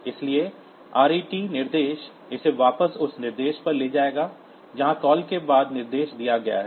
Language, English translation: Hindi, So, ret instruction will take it back to this that instruction just after the call